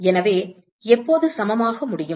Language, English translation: Tamil, So, when can it be equal